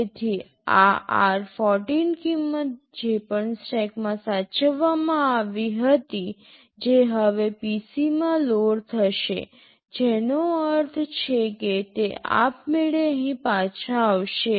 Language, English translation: Gujarati, So, whatever this r14 value was saved in the stack that will now get loaded in PC, which means it will automatically return back here